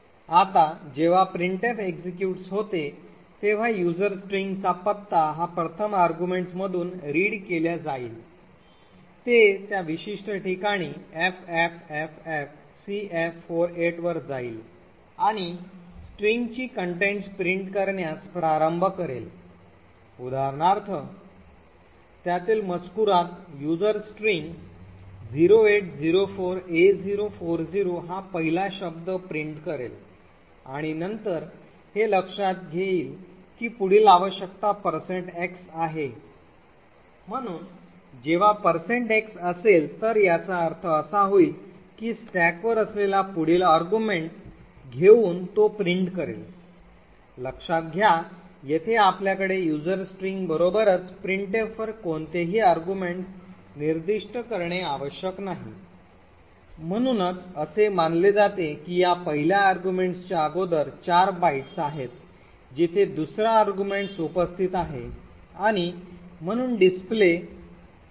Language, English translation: Marathi, Now when printf executes what happens is that it would read is first argument that is the address of user string, it would go to that particular location ffffcf48 and start to print the contents of the strings, so for example it would go to the contents of user string print the first word which is 0804a040 and then it would see that the next requirement is a %x, so when there is a %x it would mean that it would take and print the next argument which is present on the stack, note that here we have not to specified any arguments to printf besides user string, right and therefore it is assume that 4 bytes prior to this first argument is where the second argument is present and therefore the display would be 00000000